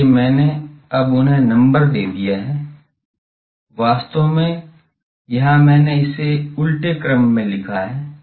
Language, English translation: Hindi, So I now numbered them, actually here I have written it in the reverse order